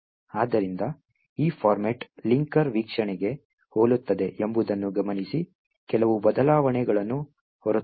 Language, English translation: Kannada, So, note that this format is very similar to the linker view, except that there are few changes